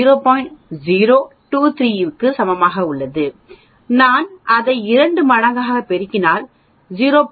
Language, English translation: Tamil, 023, if I multiply that twice that will become 0